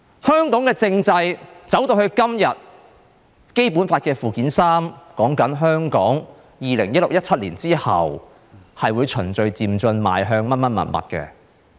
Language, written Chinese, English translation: Cantonese, 香港的政制走到今天，《基本法》附件三說，香港在2016年、2017年之後，會循序漸進邁向甚麼甚麼。, The constitutional development of Hong Kong has reached the current stage . And Annex III of the Basic Law says that Hong Kong will progress orderly and progressively forward after 2016 or 2017